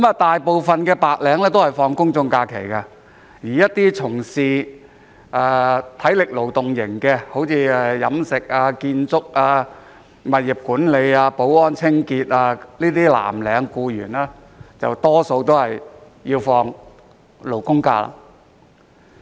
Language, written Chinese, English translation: Cantonese, 大部分白領都享有公眾假期，而從事體力勞動工作，例如飲食、建築、物業管理、保安、清潔工作的藍領僱員，大多享有"勞工假"。, While most white - collar workers are entitled to general holidays blue - collar employees engaging in manual work such as catering construction property management security and cleaning are mostly entitled to labour holidays